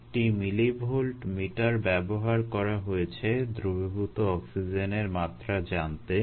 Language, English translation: Bengali, a millivolt meter was used to read the dissolved oxygen level